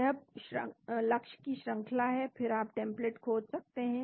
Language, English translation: Hindi, This is the sequence of the target then you can search for template